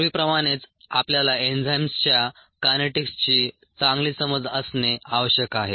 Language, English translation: Marathi, and, as before, we need to have ah good understanding of the kinetics of the enzyme reaction